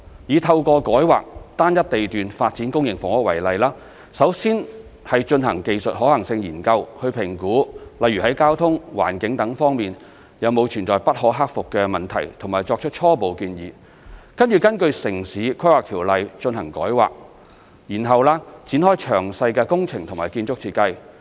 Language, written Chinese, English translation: Cantonese, 以透過改劃單一地段發展公營房屋為例，首先是進行技術可行性研究去評估，例如在交通、環境等方面有否存在不可克服的問題和作出初步建議，接着根據《城市規劃條例》進行改劃，然後展開詳細工程及建築設計。, To take the example of rezoning a single lot for the development of public housing the first step is to conduct a technical feasibility study to assess whether there are insurmountable issues regarding aspects such as transport and environment and to put forward a preliminary proposal . Rezoning will then proceed under the Town Planning Ordinance Cap